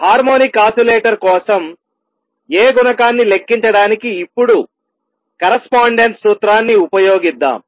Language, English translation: Telugu, Let us now use correspondence principle to calculate the A coefficient for harmonic oscillator